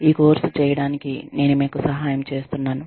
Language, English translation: Telugu, I have been helping you, with this course